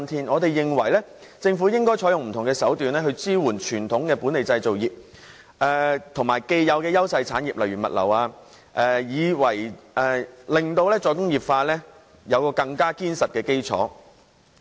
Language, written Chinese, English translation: Cantonese, 我們認為政府應該採用不同手段，支援本地傳統製造業及既有的優勢產業，例如物流，令"再工業化"有更堅實的基礎。, In our view the Government should employ various tactics to support domestic conventional industries and industries with an established edge such as the logistics industry to establish a more solid foundation for re - industrialization